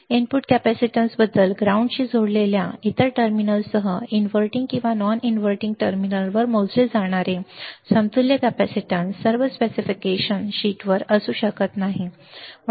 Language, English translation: Marathi, About the input capacitance, the equivalent capacitance measured at either the inverting or non interval terminal with the other terminal connected to ground, may not be on all specification sheets